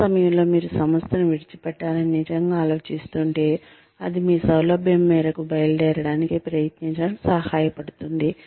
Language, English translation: Telugu, At that point, if you are really planning to quit the organization, it will help, to try to leave, at your convenience